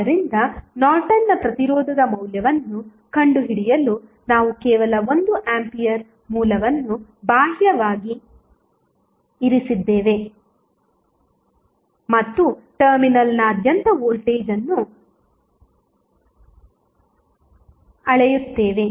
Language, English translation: Kannada, So, to find out the value of Norton's resistance, we just placed 1 ampere source externally and measure the voltage across terminal